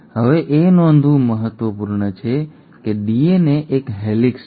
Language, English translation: Gujarati, Now it is important to note that DNA is a helix